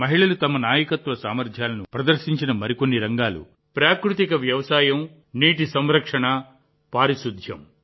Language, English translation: Telugu, Another area where women have demonstrated their leadership abilities is natural farming, water conservation and sanitation